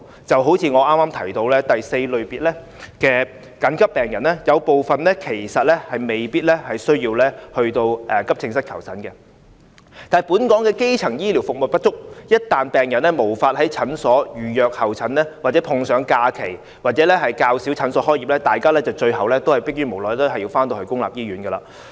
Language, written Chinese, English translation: Cantonese, 正如我剛才提及的第四類次緊急病人，有部分其實未必需要向急症室求診，但本港的基層醫療服務不足，一旦病人無法在診所預約候診，或碰上假期較少診所開門，大家最後逼於無奈還是會向公營醫院求診。, Some of the semi - urgent Triage IV patients which I just mentioned actually did not need to go to AE departments for treatment . Due to insufficient primary healthcare services people who fall sick but cannot make an appointment at district clinics or who happen to fall sick during holidays when very few clinics open will have to go to public hospitals for medical consultation